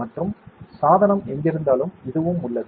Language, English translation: Tamil, And wherever the device is there, it is there